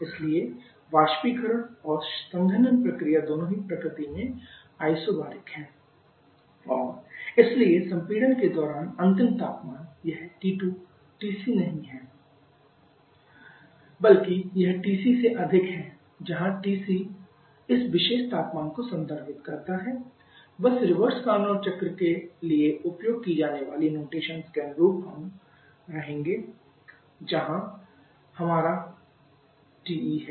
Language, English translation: Hindi, So, both evaporation and condensation process and isobaric in nature and therefore during the compression the final temperature this T2 is not TC rather it is greater than TC refers to this particular temperature just being continuous consistent with the notation used for the reverse Carnot cycle where this is our TE